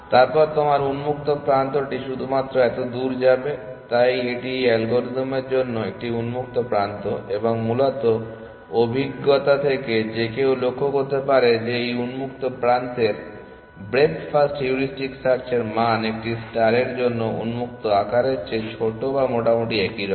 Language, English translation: Bengali, Then, your open is only going to be this much, so this is a open for this algorithm and basically empirically one can observe that the size of open for this breadth first heuristic search is smaller than the size of open for a star which is roughly like this